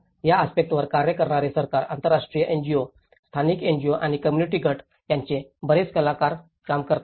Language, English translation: Marathi, There is a lot of actors working from the government, international NGOs, local NGOs and the community groups which work on these aspects